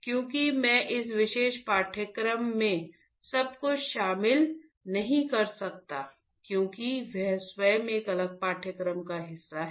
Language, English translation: Hindi, Because, I cannot cover everything in this particular course because that itself is a part of a different course